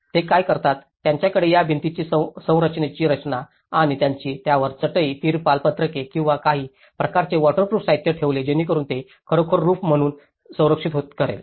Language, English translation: Marathi, What they do is, they have this walled structure and they put a mat on it, the tarpaulin sheets or some kind of waterproof materials so that it can actually protect as a roof